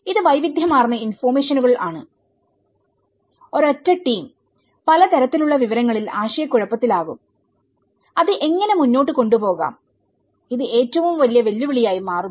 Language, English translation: Malayalam, This is a variety of information and a single team will get confused of a variety of information and how to go ahead with it, this becomes biggest challenge